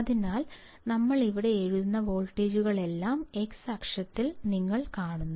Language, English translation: Malayalam, So, you see these all the voltage we are writing here in the x axis